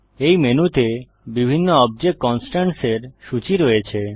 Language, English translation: Bengali, This menu lists various object constraints